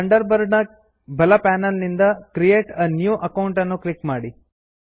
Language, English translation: Kannada, From the right panel of the Thunderbird under Accounts, click Create a New Account